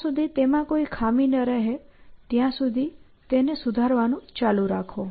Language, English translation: Gujarati, Keep refining it till there are no flaws left essentially